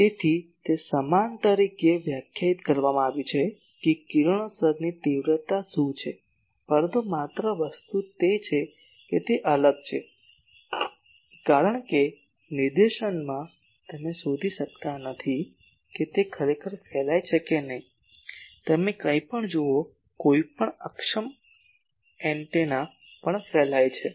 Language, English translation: Gujarati, So, it is defined as same that what is the radiation intensity but only thing is it is denominator is a big different because in directivity , you do not find out that whether that is really radiating or not , you see anything, any in efficient antenna also radiates